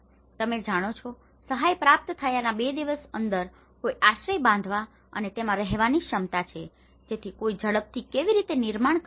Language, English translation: Gujarati, You know, one is ability to build and inhabit the shelter within two days of receiving assistance, so how quickly one can build